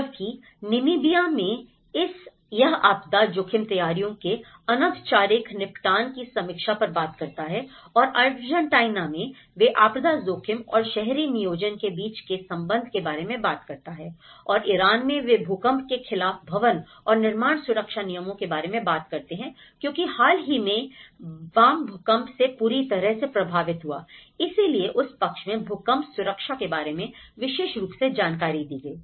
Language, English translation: Hindi, Whereas in Namibia it talks on the review of informal settlement of disaster risk preparedness and in Argentina they talk about the relationship between disaster risk and urban planning and in Iran they talk about the building and construction safety regulations against earthquake because Bam has been affected by recent earthquake at that time and that side talked about the earthquake safety in very particular